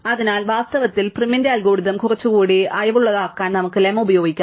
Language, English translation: Malayalam, So, in fact we can use the lemma to make prim's algorithm little more relaxed